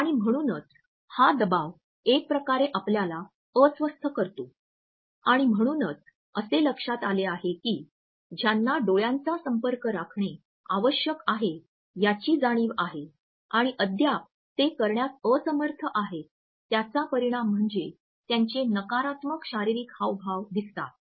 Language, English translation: Marathi, And therefore, this pressure would somehow make us fidgeting and therefore, it has been noticed that they are people who are acutely aware of the fact that they have to maintain an eye contact and is still there unable to do it, it results in negative body postures also